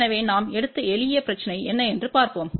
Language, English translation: Tamil, So, let us see what is the simple problem we have taken